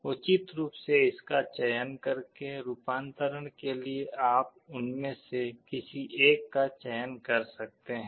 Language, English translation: Hindi, By appropriately selecting it, you can select one of them for conversion